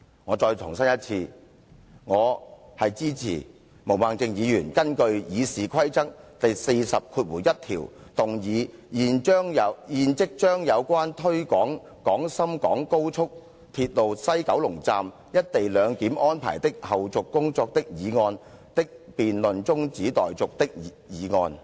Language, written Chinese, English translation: Cantonese, 我再次重申，我支持毛孟靜議員根據《議事規則》第401條動議"現即將有關推展廣深港高速鐵路西九龍站'一地兩檢'安排的後續工作的議案的辯論中止待續"的議案，我對此表示支持。, I reiterate that I support the motion moved by Ms Claudia MO under Rule 401 of the Rules of Procedure that the debate on the motion on taking forward the follow - up tasks of the co - location arrangement at the West Kowloon Station of the Guangzhou - Shenzhen - Hong Kong Express Rail Link be now adjourned . I am in support of the adjournment motion